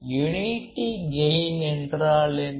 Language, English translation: Tamil, Unity gain means what